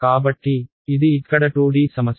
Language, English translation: Telugu, So, this is a 2D problem over here ok